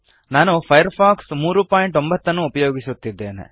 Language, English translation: Kannada, I am using Firefox 3.09